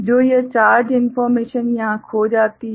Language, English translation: Hindi, So, this charge information here it gets lost